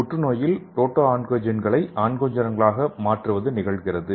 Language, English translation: Tamil, And what is happening in the cancer, the conversion of proto oncogenes to oncogenes